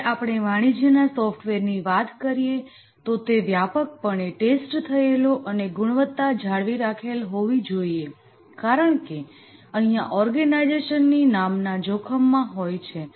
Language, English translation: Gujarati, Whereas we are discussing about a commercial software where it has to be extensively tested, the quality needs to be maintained because the organization's name is at stake